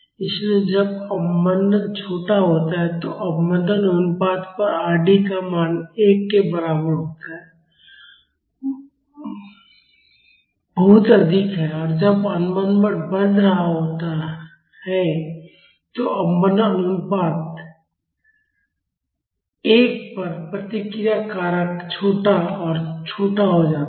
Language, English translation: Hindi, So, when the damping is small, the value of Rd at damping ratio is equal to 1 is very high and when the damping is increasing the response factor at damping ratio 1 becomes smaller and smaller